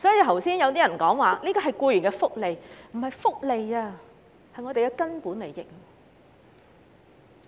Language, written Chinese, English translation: Cantonese, 剛才有議員說假期是僱員的福利，其實這不是福利，而是我們的"根本利益"。, Just now some Members referred to holidays as a form of employees welfare benefits . In fact holidays are our fundamental interests rather than welfare benefits